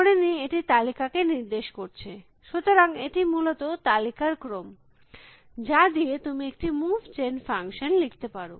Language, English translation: Bengali, Let us say, array of list show, so it is an array of list essentially, by how do you write a move gen function